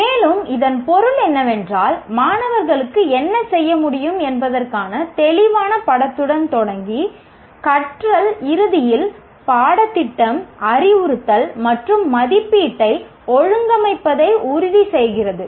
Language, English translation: Tamil, And this means starting with clear picture of what is important for students to be able to do and then organizing the curriculum, instruction and assessment to make sure the learning ultimately happens